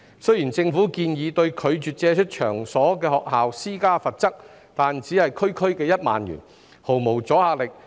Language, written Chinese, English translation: Cantonese, 雖然政府建議對拒絕借出場所的學校施加罰則，但只是區區1萬元，毫無阻嚇力。, Though the Government has proposed imposing penalty on schools refusing to make available their premises the penalty of merely 10,000 has no deterrent effect